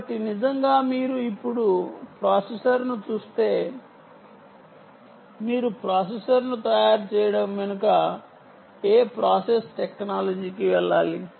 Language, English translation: Telugu, so really, um, if you now look ah processor itself, you will have to actually get into what process technology went behind making of the processor